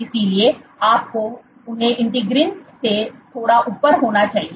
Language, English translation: Hindi, So, you must have them slightly above the integrins